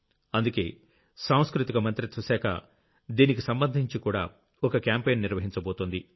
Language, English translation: Telugu, Therefore, the Ministry of Culture is also going to conduct a National Competition associated with this